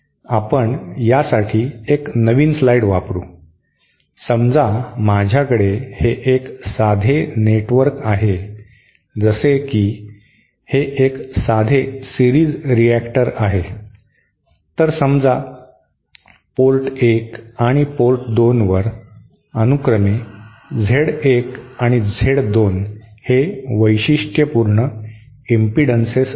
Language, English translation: Marathi, Suppose let me use a new slide for this suppose I have a simple network like this itÕs a simple series reactants, letÕs say Z1 and Z2 being the characteristic impedances at port 1 and port 2 respectively